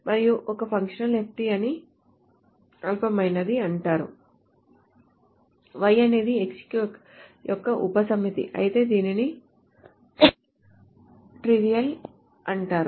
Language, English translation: Telugu, And a functional FD is called trivial if Y is a subset of X